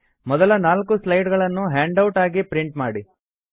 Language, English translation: Kannada, Print the first four slides as a handout